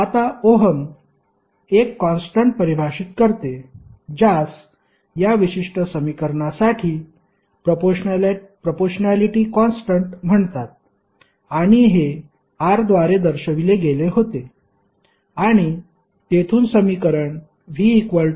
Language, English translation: Marathi, Now, Ohm define one constant, which is called proportionality constant for this particular equation and that was represented by R and from there the equation came like V is equal to R into I